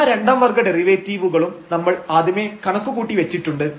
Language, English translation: Malayalam, So, all these second order derivatives we have already computed and they are actually constant in this case